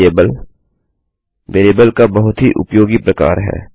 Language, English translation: Hindi, Get variable is a very useful variable type